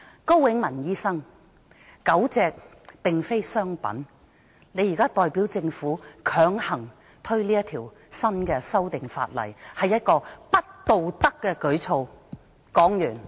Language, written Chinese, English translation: Cantonese, 高永文醫生，狗隻並非商品，你現在代表政府強行落實這項修訂規例，是不道德的舉措。, Dr KO Wing - man dogs are not commodities . You are now pushing through the Amendment Regulation on behalf of the Government . It is immoral to do so